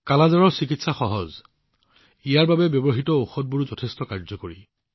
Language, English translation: Assamese, The treatment of 'Kala Azar' is easy; the medicines used for this are also very effective